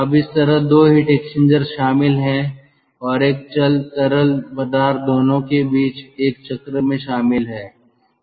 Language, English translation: Hindi, now this kind of, so two heat exchangers are involved and in between a moving fluid in a loop that is involved